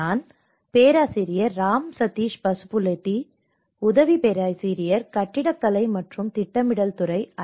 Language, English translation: Tamil, I am Ram Sateesh Pasupuleti, assistant professor, department of Architecture and Planning, IIT Roorkee